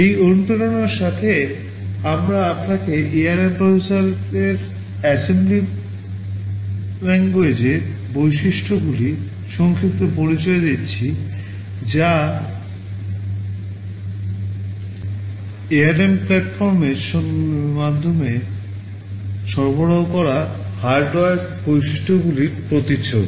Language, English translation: Bengali, With this motivation we are giving you a brief introduction to the assembly language features of the ARM processor that is a reflection of the hardware features that are provided by the ARM platform